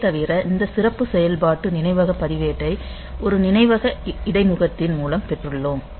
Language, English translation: Tamil, So, apart from that we have got these special function registers memory in terms of a memory interface